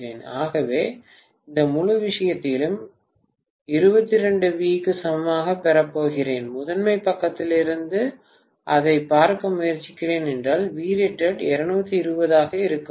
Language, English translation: Tamil, So I am going to have this entire thing equal to 22 V, if I am trying to look at it from the primary side, when V rated is 220 V, are you getting my point